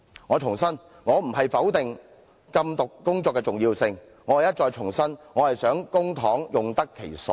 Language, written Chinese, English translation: Cantonese, 我重申我並非否定禁毒工作的重要性，而是想再重申我希望公帑用得其所。, I reiterate that I do not deny the importance of the anti - drug work; and I wish to reiterate that I hope public funds are put to proper use